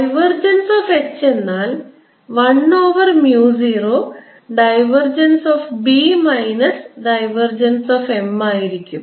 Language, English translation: Malayalam, as i'll show here, divergence of h is equal to one over mu, zero divergence of b minus divergence of m